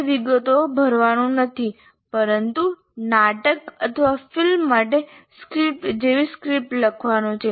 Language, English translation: Gujarati, It is not the filling the details, but the writing a script, like script for a drama or a movie